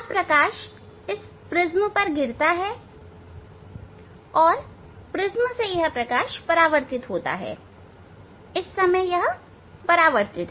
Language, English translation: Hindi, Now, light is falling on this prism and from prism this light is reflected, at the moment it is the reflected